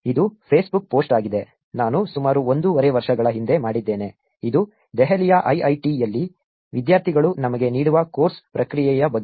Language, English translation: Kannada, This is the Facebook post, I did about a year and half back which is regarding the course feedback that students give us at IIIT, Delhi